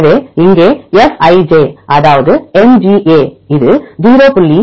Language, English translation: Tamil, So, here Fij that is MGA this is equal to 0